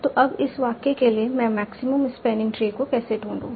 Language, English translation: Hindi, So now for the sentence, how do I find the maximum spanatory